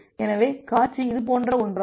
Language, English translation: Tamil, So, the scenario become something like this